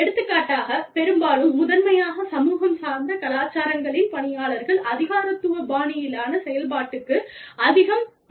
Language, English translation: Tamil, For example, in mostly, primarily, community oriented cultures, people are more used to, a bureaucratic style of functioning